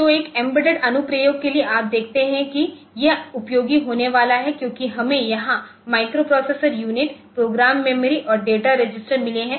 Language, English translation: Hindi, that this is going to be useful because we have got this microprocessor unit program memory and data registers